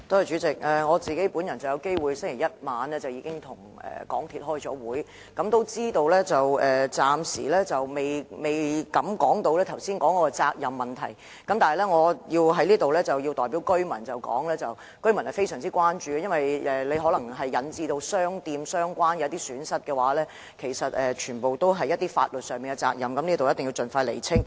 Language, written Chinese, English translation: Cantonese, 主席，我在星期一晚上與港鐵公司開會，得知暫時尚未談及剛才提及的責任問題，但我在此要代表居民反映他們的關注，因為如果這次事故引致相關商店蒙受損失的話，則所涉及的，便全是法律上的責任，必須盡快釐清。, President I met with MTRCL on Monday night so I know that the question of responsibility mentioned just now has not yet been discussed . But here in this Council I must voice the residents concern on their behalf because if this incident did lead to any losses on the part of any shops then what is involved will be legal responsibility and this must be ascertained as soon as possible